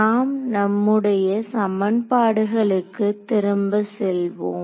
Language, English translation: Tamil, So, let us go back to our equation